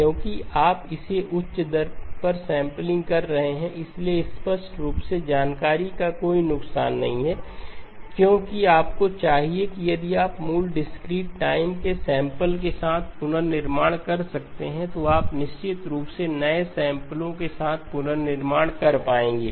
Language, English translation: Hindi, Because you are sampling it at a higher rate, so clearly there is no loss of information because you should if you could have reconstructed with the original discrete time samples, you will definitely be able to reconstruct with the new samples